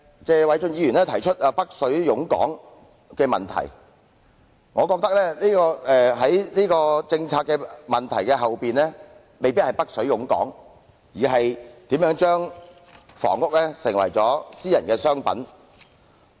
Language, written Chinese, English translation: Cantonese, 謝偉俊議員提出"北水湧港"的問題，但我認為政策背後的問題未必是"北水湧港"，而是房屋如何成為了私人商品。, Mr Paul TSE pointed out the problem of an influx of capital from the Mainland into Hong Kong but in my view the real problem with the policy is probably not the influx of capital from the Mainland into Hong Kong but how housing units have turned into private commodities